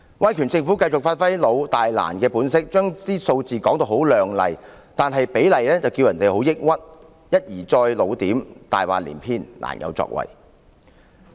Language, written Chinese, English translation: Cantonese, 威權政府繼續發揮"老、大、難"的本色，把數字說得很亮麗，但其實比例卻令人很抑鬱，一而再地"老點"、"大話連篇"、"難有作為"。, The authoritarian government continues to play its old big and difficult character by claiming brilliant figures whose ratios are in fact very depressing . Time and again they are older style big lies and more difficult to act